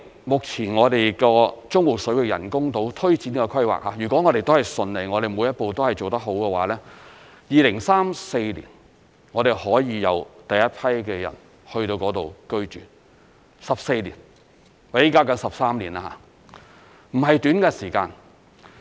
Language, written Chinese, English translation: Cantonese, 目前，中部水域人工島推展的規劃，如果順利、每一步也做得好的話 ，2034 年可以有第一批人進去居住，即現時起計13年，並不是短的時間。, Currently if the development of the artificial islands in the Central Waters goes smoothly and every step is taken properly the first population intake is scheduled for 2034 which is 13 years from now and is not a short period of time